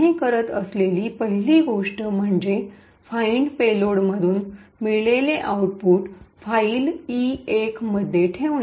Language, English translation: Marathi, The first thing we do is to put the output from find payload into some file E1